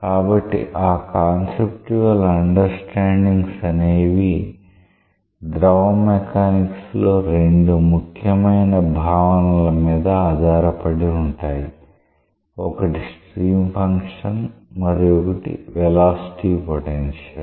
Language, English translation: Telugu, So, those conceptual understandings are based on two important terminologies in fluid mechanics; one is stream function another is velocity potential let us see what is stream function